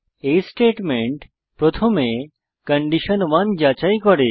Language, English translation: Bengali, If statement initially checks for condition 1